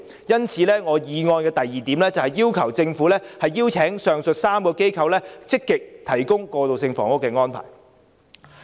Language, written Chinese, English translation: Cantonese, 因此，我的議案第二部分要求政府邀請上述3個機構積極提供過渡性房屋。, Therefore part 2 of my motion urges the Government to invite the above mentioned organizations to actively provide transitional housing